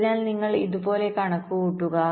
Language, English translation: Malayalam, ok, so you calculate like this